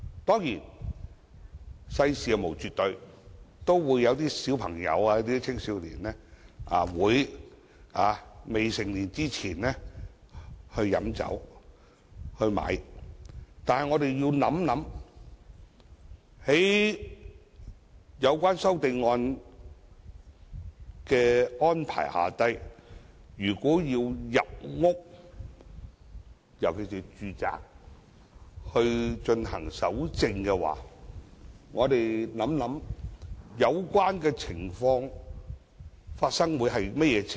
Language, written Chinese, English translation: Cantonese, 當然，世事無絕對，未成年的青少年也會買酒和飲酒，但我們要想想，據有關修正案的安排，甚麼時候才會出現需要進入住宅搜證的情況呢？, Of course nothing is absolute . Underage youngsters may buy and consume alcohol . But we need to think about these questions When will the authorities see the need of collecting evidence in residential units according to the arrangement of the amendment?